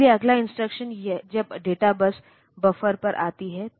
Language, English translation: Hindi, So, next instruction when it comes to the data bus buffer